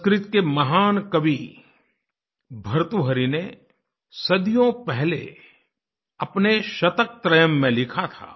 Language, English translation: Hindi, Centuries ago, the great Sanskrit Poet Bhartahari had written in his 'Shataktrayam'